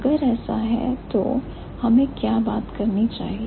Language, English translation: Hindi, So, if that is so, then what should we talk about